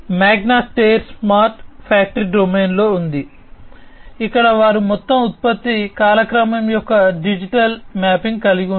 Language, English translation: Telugu, Magna Steyr is in the smart factory domain, where they have digital mapping of entire production timeline